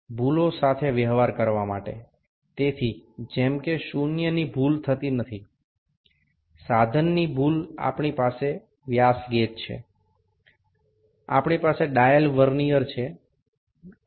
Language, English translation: Gujarati, To deal with the errors, so, as the zero error does not occur, the instrument error we have the dial gauge, we have the dial Vernier